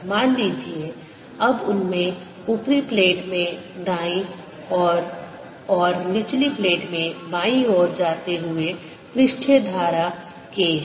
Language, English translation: Hindi, the magnitude suppose now they also carry a surface current, k, going to the right side in the upper plate and to the left in the lower plate